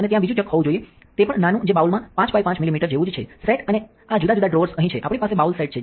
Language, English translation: Gujarati, And there should be a second chuck which is even smaller that is only like 5 by 5 millimeters into the bowl sets and these different drawers down here, we have the bowl set itself